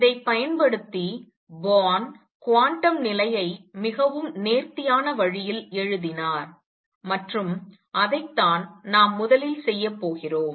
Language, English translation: Tamil, Using these Born wrote the quantum condition in a very neat way and that is what we are going to do first